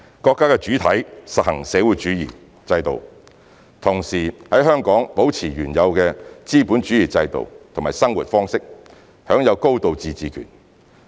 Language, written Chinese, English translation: Cantonese, 國家的主體實行社會主義制度，同時在香港保持原有的資本主義制度和生活方式，享有高度自治權。, Under this principle China shall practise the socialist system while keeping the previous capitalist system and way of life in Hong Kong unchanged with a high degree of autonomy